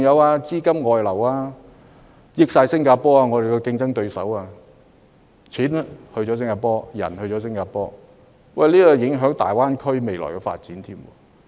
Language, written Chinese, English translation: Cantonese, 此外，資金的外流亦讓我們的競爭對手新加坡得以受惠，不論金錢和人才均流向新加坡，這勢必影響大灣區的未來發展。, In addition the outflow of funds has also benefited our competitor Singapore . Our money and talent all flow to it which will definitely affect the future development of the Greater Bay Area especially under the present environment and situation